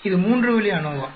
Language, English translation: Tamil, This is a three way ANOVA